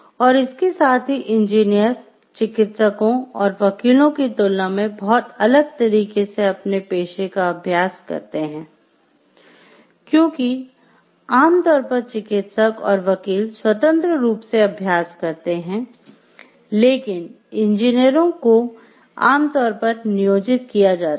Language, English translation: Hindi, And also the engineers practice their professions in a very different way from the physicians and lawyers, because physicians and lawyers are generally the practice independently more so, the lawyers, but engineers are generally like they get employed